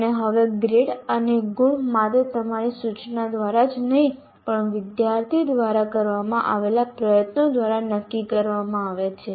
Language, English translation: Gujarati, And now the grades and marks are also are decided by not only your instruction, by the effort put in by the student